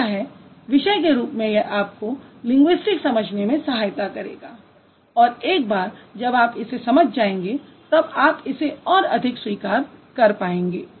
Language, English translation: Hindi, So I hope this is going to help you to understand linguistics as a discipline and once you understand it you should be able to appreciate it even more